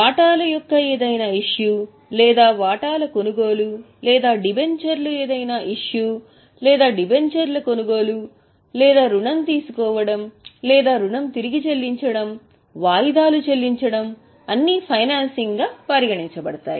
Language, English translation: Telugu, Any issue of shares or purchase of shares or any issue of debentures or purchase of debentures or taking of loan or repayment of loan, paying installment of loan is all considered as financing